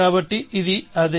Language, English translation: Telugu, So, this is that